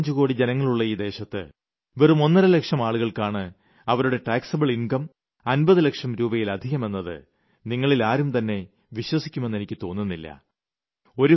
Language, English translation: Malayalam, None of you will believe that in a country of 125 crore people, one and a half, only one and a half lakh people exist, whose taxable income is more than 50 lakh rupees